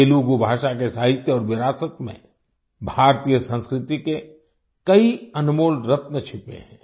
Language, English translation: Hindi, Many priceless gems of Indian culture are hidden in the literature and heritage of Telugu language